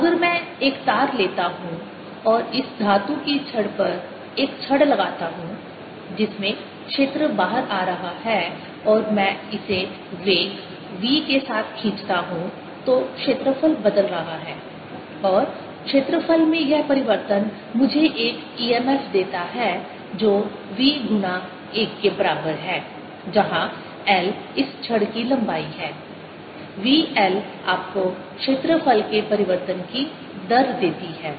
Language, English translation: Hindi, if i take a wire and put a rod on this metallic rod in which the field is coming out, and i pull this with velocity v, then the area is changing and this change in area gives me an e m f which is equal to b v times l, where l is the length of this rod, v l gives you the rate of change of area and the direction of current is going to be such that it changes